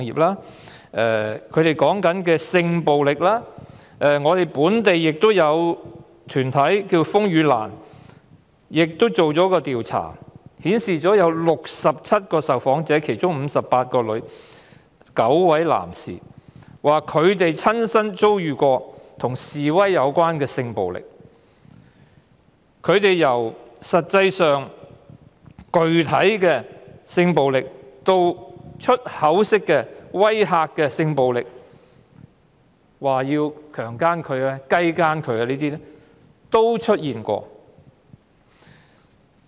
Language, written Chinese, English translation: Cantonese, 直至今天，本地團體風雨蘭也作出了調查，訪問了58女、9男，共67位受訪者，表示親身遭遇與示威有關的性暴力，由具體的性暴力，以至語言上的性暴力，威嚇要強姦、雞姦等，也曾出現。, The local group Rainlily also conducted an investigation by interviewing a total of 67 respondents including 58 females and 9 males . They indicated that they had personally experienced protest - related sex violence ranging from physical sex violence to verbal one . Among others there have been rape and sodomy threats